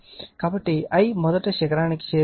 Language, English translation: Telugu, So, I is reaching the peak first right